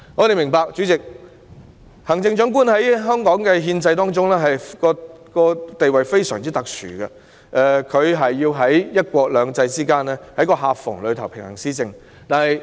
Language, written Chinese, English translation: Cantonese, 代理主席，我們明白行政長官在香港憲制中的地位非常特殊，要在"一國兩制"的夾縫中平衡施政。, Deputy President we understand that the Chief Executive holds a most special position in the constitutional system in Hong Kong having to strike a balance in administration amid the gaps under one country two systems